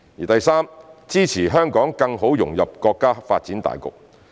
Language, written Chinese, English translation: Cantonese, 第三，支持香港更好融入國家發展大局。, Thirdly it is the support for Hong Kong to better integrate into the overall development of the country